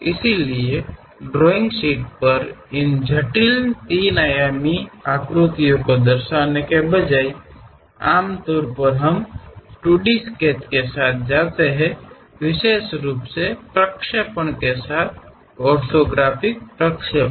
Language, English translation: Hindi, So, on drawing sheet, instead of representing these complex three dimensional shapes; usually we go with 2 D sketches, especially the projections, orthographic projections